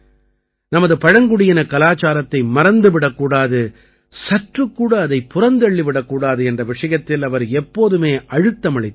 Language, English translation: Tamil, He had always emphasized that we should not forget our tribal culture, we should not go far from it at all